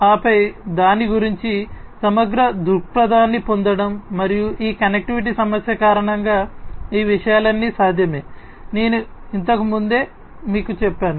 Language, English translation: Telugu, And then getting an a holistic view of it and all these things are possible due to this connectivity issue, that I told you the earlier